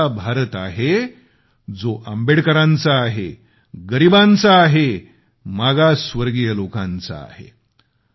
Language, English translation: Marathi, It is an India which is Ambedkar's India, of the poor and the backward